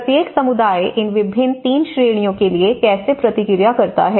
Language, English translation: Hindi, So, how each community response to these different 3 categories